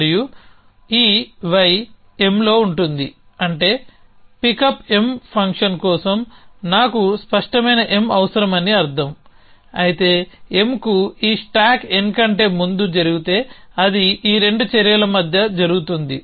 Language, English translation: Telugu, And this y will be in to M which would mean that for pickup M I needed clear M to be true, but if this stack n on to M happens before that which means it happen between these 2 actions